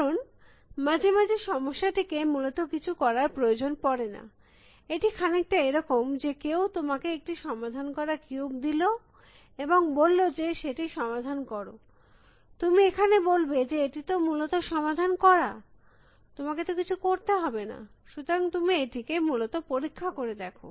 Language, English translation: Bengali, Because, sometime the problem may not need anything to be done essentially you know, it is somebody gives you solved cube and says solve it, you will say here, it is solved already essentially, you do not have to do anything, but so you test whether it is a essentially